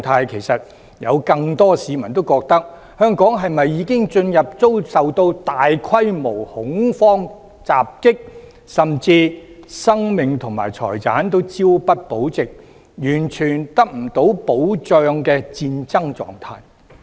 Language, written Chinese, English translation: Cantonese, 其實有很多市民認為，香港是否已進入遭受大規模恐慌襲擊，甚至生命及財產均朝不保夕、完全得不到保障的戰爭狀態。, Many people have actually asked whether Hong Kong is under a terrorist attack or at a state of war and questioned whether our lives and properties are at risk